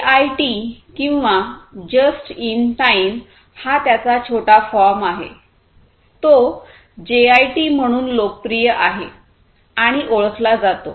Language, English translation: Marathi, JIT or just in time, this is the short form, it is also known as popularly known as JIT